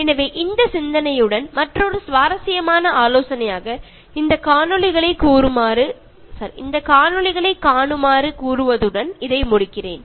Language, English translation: Tamil, So, with this thought, let me conclude this with another interesting suggestion to you to watch these videos